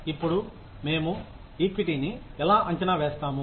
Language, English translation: Telugu, Now, how do we assess equity